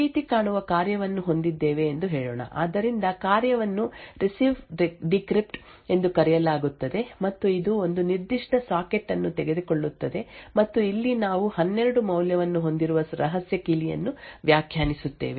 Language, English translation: Kannada, Let us say we have a function which looks something like this, so the function is called RecvDecrypt and it takes a particular socket and over here we define a secret key which has a value of 12